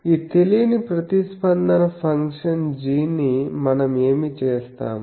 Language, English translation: Telugu, So, what we do this unknown response function g we expand in a basis set